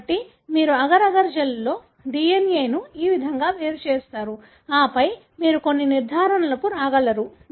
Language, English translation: Telugu, So, this is how you separate the DNA in agar agar gel and then, you are able to come up with certain conclusions